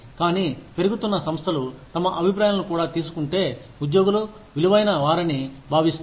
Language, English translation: Telugu, But, increasingly, organizations are realizing that, employees feel valued, if their opinions are also taken